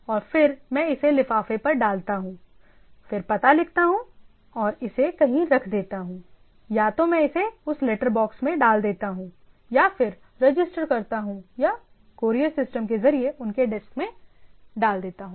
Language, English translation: Hindi, And then, I push it to envelop then write the address etcetera and then I put it in somewhere, either I put it to that letter box or I register or put through a courier system to their desk etcetera